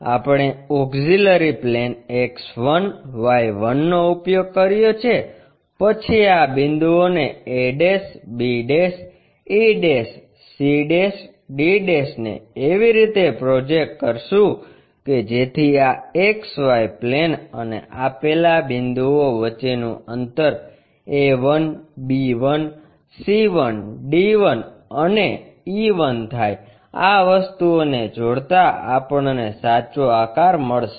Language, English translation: Gujarati, We have used a auxiliary plane X1Y1 then projected these points a', b', e', c', d' points in such a way that the distance between these XY plane to these points represented into a1, b1, c1 and d1 and e1, joining these things we got the true shape